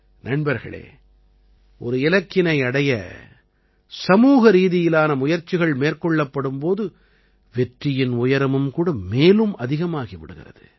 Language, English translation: Tamil, Friends, when there is a collective effort towards a goal, the level of success also rises higher